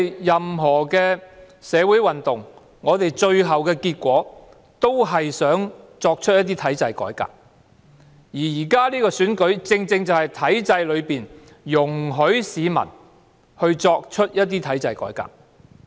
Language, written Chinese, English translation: Cantonese, 任何社會運動的最後結果，是想作出一些體制改革。而現時的選舉正是體制容許的機會，讓市民作出一些體制改革。, The ultimate aim of any social movement is to carry out some institutional reforms and this election is exactly providing a chance allowed under the institution for the public to carry out some institutional reforms